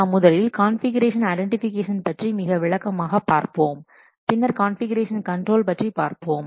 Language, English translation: Tamil, We will first see about configuration in detail and then we will see about this configuration control